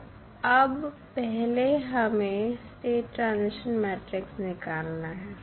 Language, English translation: Hindi, So, now we need to find out first the state transition matrix